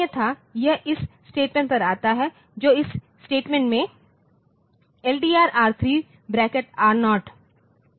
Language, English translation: Hindi, Otherwise, it comes to this statement and in this statement it is LDR R3 within bracket R0